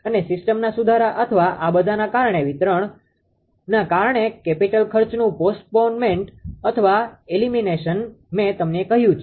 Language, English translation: Gujarati, And these are I told you postponement or elimination of capital expenditure due to system improvement or an expansion due to this all this reason